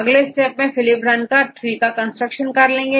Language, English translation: Hindi, Now, next one is you need to run Phylip to construct the trees